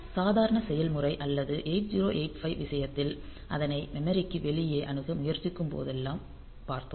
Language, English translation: Tamil, So, in case of normal process or 8085 we have seen that whenever we are trying to access outside the memory